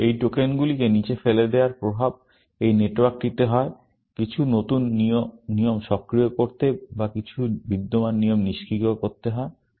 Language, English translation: Bengali, Essentially, the effect of throwing these tokens down, this network is to either, activate some new rules or to deactivate some existing rules, essentially